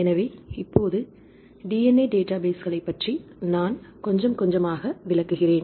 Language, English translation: Tamil, So, I will move on to little bit about the DNA databases